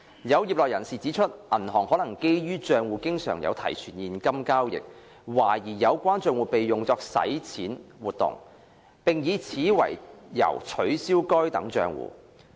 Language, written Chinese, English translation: Cantonese, 有業內人士指出，銀行可基於帳戶經常有提存現金交易，懷疑有關帳戶被用作洗錢活動，並以此為由取消該等帳戶。, Some members of the industry have pointed out that banks may on the basis of frequent cash deposit and withdrawal transactions in accounts suspect that the accounts have been used for money laundering and cancel such accounts on that ground